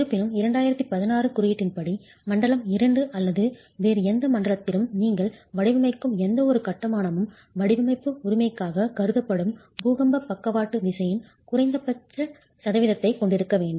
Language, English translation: Tamil, However, the 2016 code also requires that any construction that you design, any construction that you design, be it in zone 2 or any other zones, has to have a minimum percentage of earthquake lateral force considered for design